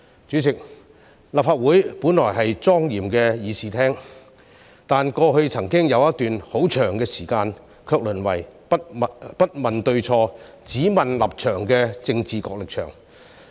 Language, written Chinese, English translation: Cantonese, 主席，立法會本來是莊嚴的議事廳，但過去曾經有一段很長時間，卻淪為不問對錯、只問立場的政治角力場。, President the Legislative Council originally held its discussions in a solemn Chamber but for a long time in the past it was reduced to a venue of political tug - of - war where only political positions were concerned regardless of whether the views expressed were right or wrong